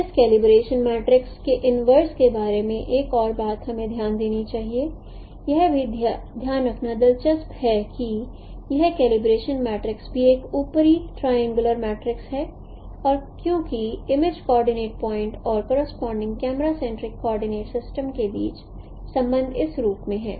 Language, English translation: Hindi, This is also interesting to note that this calibration matrix is also an upper triangular matrix and since the relationship between the image coordinate point and the corresponding camera centric coordinate system is in this form